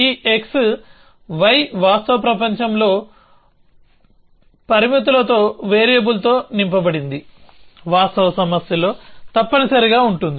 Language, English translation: Telugu, So, this x y would be filled up with variable with constraints in real world, in a real problem essentially